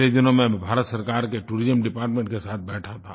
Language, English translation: Hindi, I was in a meeting with the Tourism Department recently